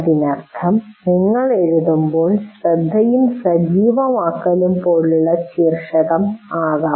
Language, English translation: Malayalam, That means when you are writing, you can actually put title like attention and activation